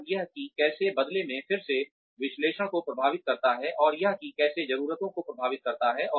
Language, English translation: Hindi, And that, how that in turn, again affects analysis, and how that affects needs